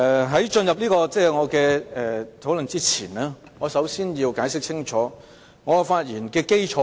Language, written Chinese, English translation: Cantonese, 在進入討論前，我想先清楚解釋我的發言基礎。, Before I proceed with the discussion I would like to first explain the basis for my speech